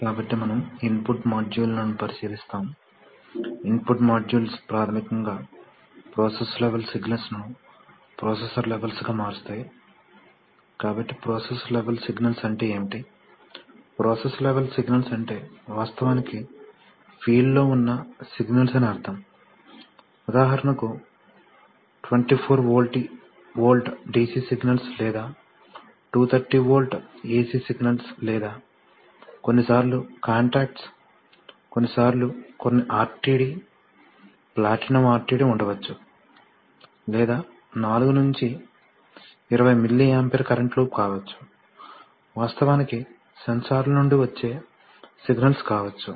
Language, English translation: Telugu, So we have, then we look at input modules, input modules basically convert process level signals to processor levels, so what do you mean by process level signals, process level signals are signals which actually exists on the field, for example there could be, there could be 24 volt DC signals or 230 volt AC signals or even sometimes contacts, sometimes some RTD, platinum RTD or could be a 4 to 20 milli ampere current loop, the signals which actually come out of sensors right